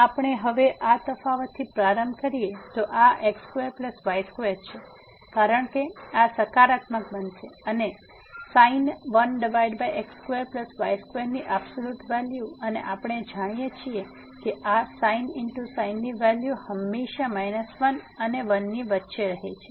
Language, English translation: Gujarati, If we start with this difference now, this is square plus square because this is going to be positive and the absolute value of sin 1 over x square plus y square and we know that that this value of sin always lies between minus 1 and 1